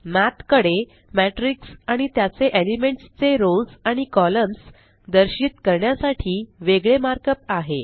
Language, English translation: Marathi, Math has separate mark up to represent a Matrix and its rows and columns of elements